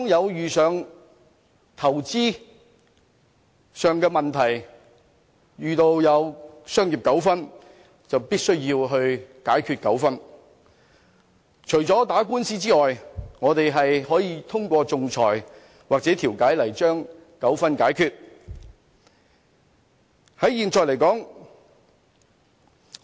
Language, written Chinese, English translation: Cantonese, 當遇到投資上的問題，或遇到商業糾紛，除了透過打官司解決糾紛，還可以通過仲裁或調解來解決糾紛。, In the event of investment problems or commercial disputes the parties concerned can resolve such problems or disputes through arbitration and mediation apart from taking the matter to court